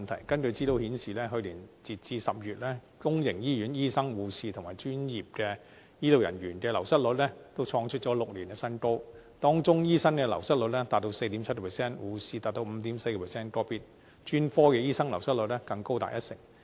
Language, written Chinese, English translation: Cantonese, 根據資料顯示，截至去年10月，公營醫院醫生、護士和專業醫療人員的流失率，均創出6年新高，當中醫生流失率達 4.7%， 護士達 5.4%， 個別專科醫生流失率更高達一成。, Information has revealed that as of October last year the turnover rates of doctors nurses and professional healthcare personnel in public hospitals reached a new height of six years with the turnover rates of doctors nurses and individual specialists reaching 4.7 % 5.4 % and even as high as 10 % respectively